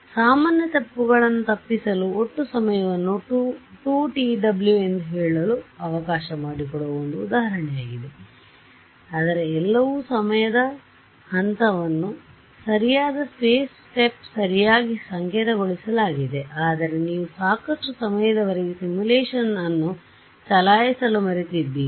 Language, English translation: Kannada, So, common mistake to avoid is an example I set the total time equal to let us say 2 t w right its everything is coded up your time step is correct space step is correct everything is correct, but you forgot to run the simulation for long enough